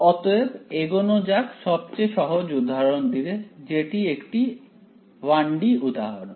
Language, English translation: Bengali, So, let us proceed with the simplest possible example which is a 1 D example